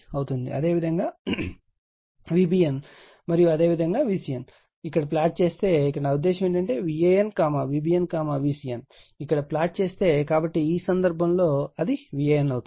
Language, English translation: Telugu, Similarly for V bn and similarly for V cn, that means, if you plot it here, so mean this is my your what you call V an, V bn, V cn if you plot it here, so in this case it will be your what you call V an right